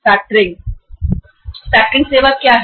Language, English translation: Hindi, What is the factor, what is the factoring surveys